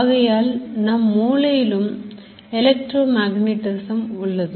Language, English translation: Tamil, So, there is actually a electromagnetism in the brain